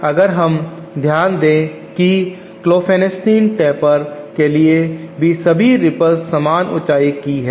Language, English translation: Hindi, One thing we note for Klopfenstein taper is that the ripples are all of same height